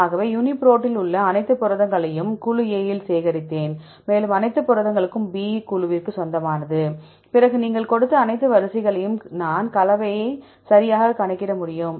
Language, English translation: Tamil, So, I get the, for example, I collected all the proteins in the UniProt in group A and all the proteins belong to group B, then if you give to all these sequences I can calculate the composition right